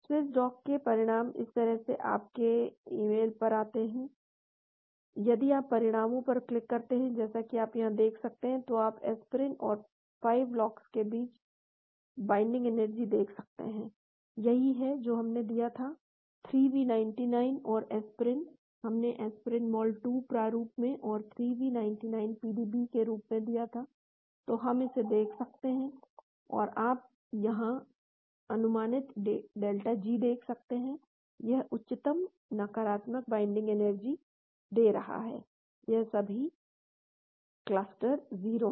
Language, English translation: Hindi, The results from Swiss dock comes to your email like this , if you click on the results as you can see here, you can see the binding energies between aspirin and 5 lox in fact, that is what we gave, the 3v99 and aspirin, we gave aspirin in mol 2 format 3v99 as a PDB, so we can see this and here you can see that estimated delta G, this gives the highest negative binding energy, this is all the cluster 0,